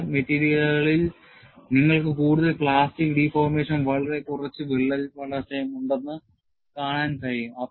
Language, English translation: Malayalam, In certain materials, you are able to see, that you will have more plastic deformation and very little crack growth; then, this is applicable